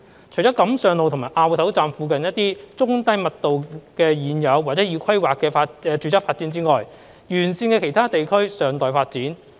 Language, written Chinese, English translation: Cantonese, 除了錦上路和凹頭站附近的一些中低密度的現有或已規劃的住宅發展外，沿線的其他地區尚待發展。, Except for a few low - to - medium density existingplanned residential developments in the vicinity of Kam Sheung Road Station and Au Tau Station the areas along the alignment are yet to be developed